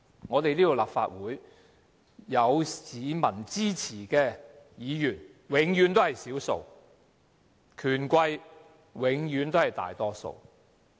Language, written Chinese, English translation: Cantonese, 在這個立法會，有市民支持的議員永遠是少數，權貴永遠是大多數。, In the Legislative Council Members with the support of the public are always in the minority whereas the rich and powerful are in the majority